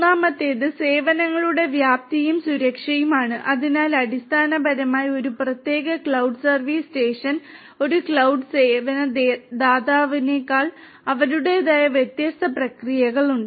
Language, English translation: Malayalam, Third is scalability and security of services, so basically you know because there is a separate, cloud service station a cloud service provider who has their own different processes